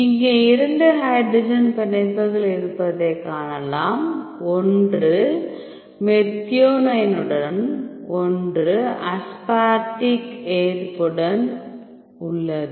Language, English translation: Tamil, Here we can see there are two hydrogen bonds, one is with methionine one is with the aspartic accept